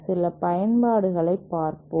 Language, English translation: Tamil, Let us see some of the uses